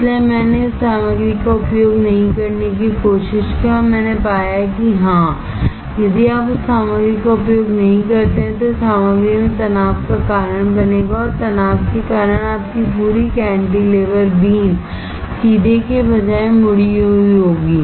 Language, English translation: Hindi, So, I tried of not using that material and I found that yes, if you do not use that material, then it will cause stress in the material and because of the stress your whole cantilever beam instead of straight, it will be bent